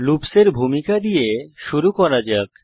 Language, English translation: Bengali, Let us start with the introduction to loops